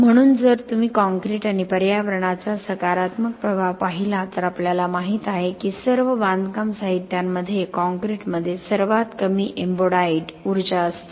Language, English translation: Marathi, So, if you look at the positive impact of concrete and environment we know that concrete has the lowest embodied energy among all construction materials